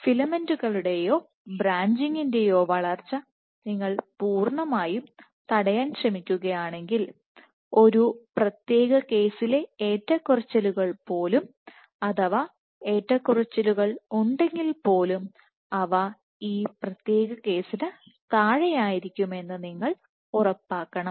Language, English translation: Malayalam, So, if you were to completely stop any growth of filaments or branching, you must ensure that the fluctuation for one particular case even with the fluctuation it always remains below this particular case